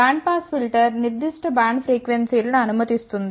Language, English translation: Telugu, Band pass filter passes the a particular band of the frequencies